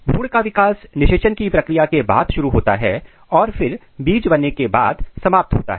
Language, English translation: Hindi, The embryo development starts after the process of fertilization and then it terminates by the seed dormancy